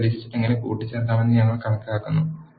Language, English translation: Malayalam, Next, we will see how to concatenate the list